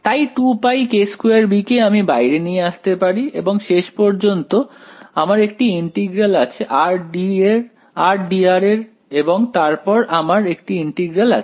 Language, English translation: Bengali, So, 2 pi k squared b I can take out and then finally, I have an integral of r d r right and then, I have an integral